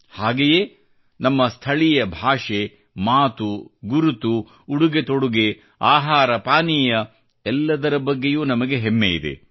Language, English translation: Kannada, We are as well proud of our local language, dialect, identity, dress, food and drink